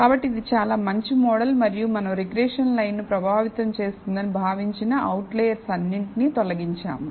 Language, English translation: Telugu, So, this is a pretty good model and we have removed all the possible outliers that we thought were influencing the regression line